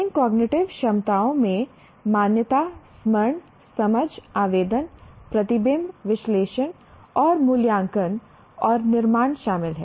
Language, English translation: Hindi, These cognitive abilities include recognition, recollection, understanding, application, reflection, analysis and evaluation and creation